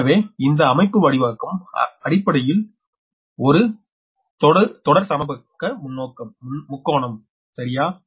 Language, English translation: Tamil, this configuration actually series equilateral triangle, right